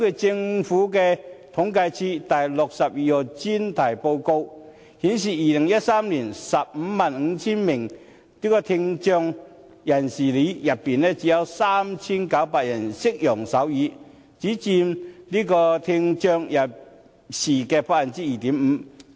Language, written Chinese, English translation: Cantonese, 政府統計處《第62號專題報告書》顯示，於2013年，在 155,000 名聽障人士中，只有 3,900 人懂得使用手語，佔聽障人士的 2.5%。, The Special Topics Report No . 62 of the Census and Statistics Department indicates that in 2013 out of 155 000 people with hearing impairment only 3 900 of them knew sign language accounting for 2.5 % of the group